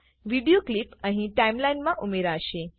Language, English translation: Gujarati, The video clips will be added to the Timeline here